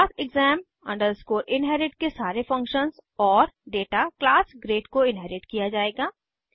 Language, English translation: Hindi, All the functions and data of class exam inherit will be inherited to class grade